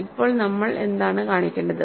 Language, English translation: Malayalam, Now what is it that we have to show now